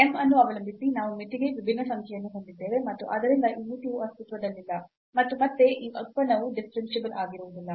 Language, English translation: Kannada, Depending on m we have a different number for the limit, and hence this limit does not exist, and again this function is not differentiable